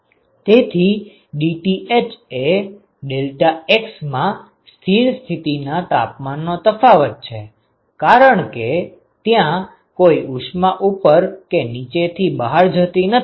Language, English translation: Gujarati, So, dTh is the temperature difference in deltax and at steady state because there is no heat that is going out from the top and the bottom right